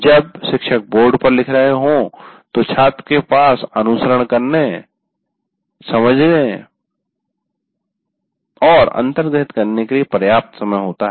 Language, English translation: Hindi, While you are writing on the board, the student has enough time to follow, understand, and internalize